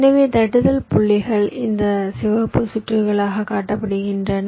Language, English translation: Tamil, so the tapping points are shown as these red circuits